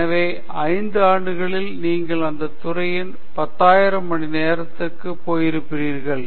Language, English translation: Tamil, So, in 5 years you would have put in some 10,000 hours in that field